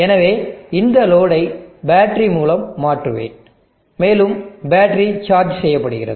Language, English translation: Tamil, So let me replace this load by a battery, and the battery is being charged